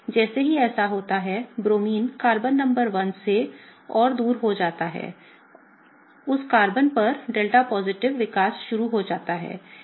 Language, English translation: Hindi, As this happens, as the Bromine gets further away from Carbon number 1, there is a delta positive starting to develop on that Carbon